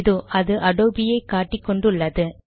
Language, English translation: Tamil, So it is pointing to Adobe